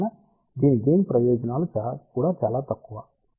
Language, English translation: Telugu, Hence the gain of this is also relatively small